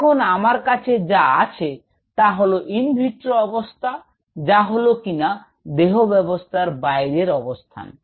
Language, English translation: Bengali, Now I have in an in vitro condition which is outside the system